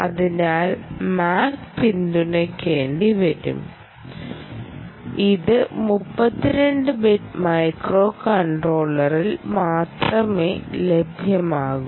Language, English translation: Malayalam, mac will have to be supported, therefore, and that is available only mostly in thirty two bit microcontroller